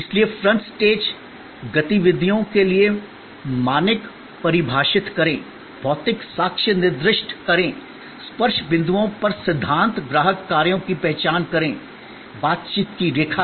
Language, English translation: Hindi, So, define standard for front stage activities, specify physical evidence, identify principle customer actions at the touch points, the line of interaction